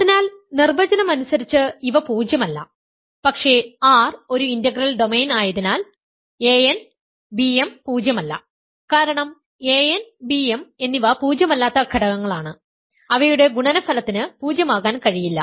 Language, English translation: Malayalam, So, by definition, these are non zero, but because R is an integral domain R is an integral domain implies a n times b m is non zero, because a n and b m are non zero elements their product cannot be zero